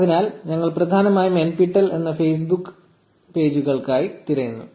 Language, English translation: Malayalam, So, we are essentially searching for Facebook pages named nptel